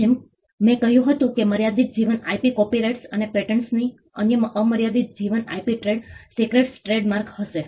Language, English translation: Gujarati, As I said is the limited life IP copyrights and patents the other will be the unlimited life IP trade secrets trademarks